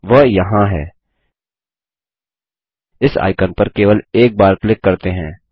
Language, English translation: Hindi, There it is, let us click just once on this icon